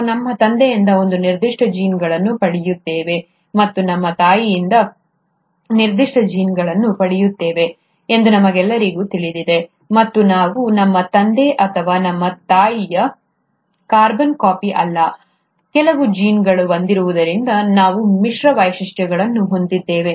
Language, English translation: Kannada, We all know that we get a certain set of genes from our father, and a certain set of genes from our mother, and we are neither a carbon copy of our father nor our mother, we have a mix features because some genes have come from our father, some genes have come from our mother, and as a sum total and a combined effect